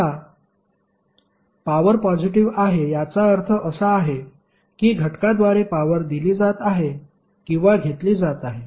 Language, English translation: Marathi, Now, the power has positive sign it means that power is being delivered to or absorbed by the element